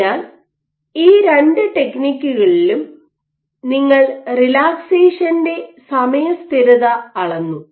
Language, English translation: Malayalam, So, even in both these techniques you measured something called time constant of relaxation